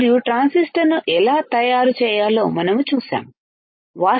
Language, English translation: Telugu, And how to fabricate the transistor, we have seen how to fabricate a MOSFET is not it